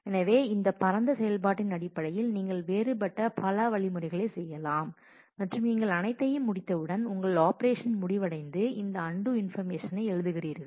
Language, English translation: Tamil, So, these are the different instructions in terms of this broad operation and when you are done with all that then your operation ends and you write this undo information